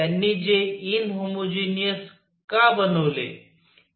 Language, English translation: Marathi, Why they made it in homogeneous